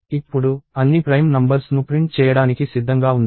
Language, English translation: Telugu, Now, ready to print all the prime numbers